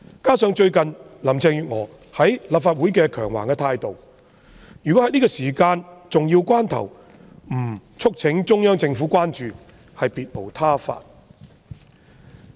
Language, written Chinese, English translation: Cantonese, 加上最近林鄭月娥在立法會的強橫態度，如果在這個重要關頭，我們不促請中央政府關注，便別無他法。, Added to this the despotic attitude of Carrie LAM in the Legislative Council recently we have no choice but to urge CPG to keep a watchful eye at this important juncture